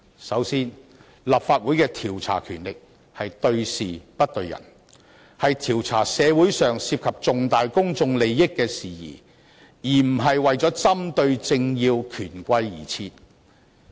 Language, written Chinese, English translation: Cantonese, 首先，立法會的調查權力應對事不對人，應調查社會上涉及重大公眾利益的事宜而不是針對政要權貴。, Firstly the investigative power of the Council should be targeted at matters rather than individuals; that is the Council should investigate matters of significant public interests in society rather than political dignitaries and bigwigs